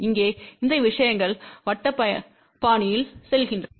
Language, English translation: Tamil, Here, these things go in circular fashion